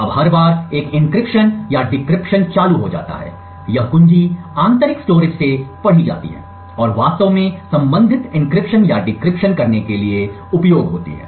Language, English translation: Hindi, Now every time an encryption or a decryption gets triggered, this key is read from the internal storage and use to actually do the corresponding encryption or the decryption